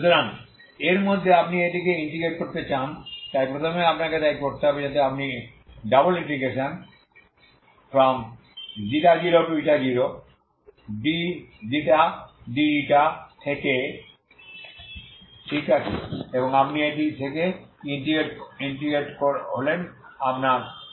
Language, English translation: Bengali, So within this you want to integrate this one so first you so to do that so you integrate from η0 ∬ d ξ dη,, okay and you integrate from this is your ξ=η